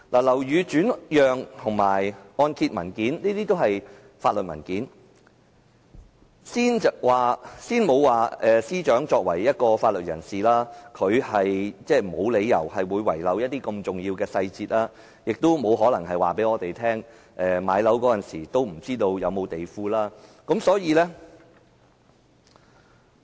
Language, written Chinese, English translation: Cantonese, 樓宇轉讓和按揭文件均是法律文件，先不談司長身為法律界人士，無理由遺漏如此重要的細節，她也不可能說，她買樓時對是否有地庫一事並不知情。, The deed of assignment and mortgage document are both legal documents . Leaving aside the fact that the Secretary for Justice is a member of the legal profession who should not have omitted such an important detail she could not say that she did not know there was a basement when she bought the house